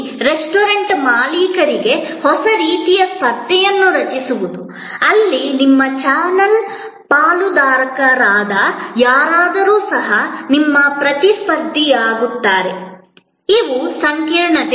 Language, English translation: Kannada, Creating a new kind of competition for the restaurant owners, where somebody who is your channel partner in a way also becomes your competitor, these are complexities